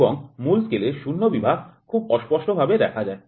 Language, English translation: Bengali, And that the zero main scale division is barely visible